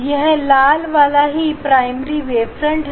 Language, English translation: Hindi, this red one is primary wave front